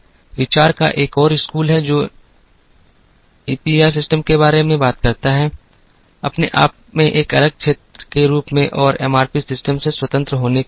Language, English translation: Hindi, There is another school of thought, which talks about EPR systems, as a separate area in its own right and as being independent of MRP systems